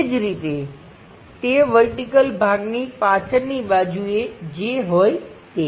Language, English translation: Gujarati, Similarly on back side whatever that vertical part